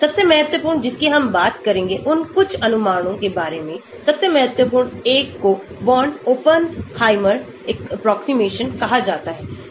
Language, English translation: Hindi, the most important one we will talk about some of those approximations, the most important one is called the Born Oppenheimer approximation